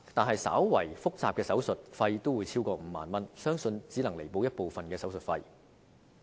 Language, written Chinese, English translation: Cantonese, 可是，稍為複雜的手術費也超過5萬元，相信以上賠款只能彌補部分手術費。, But a slightly more complicated surgery will cost over 50,000 and I think this level of compensation can cover only part of the surgery costs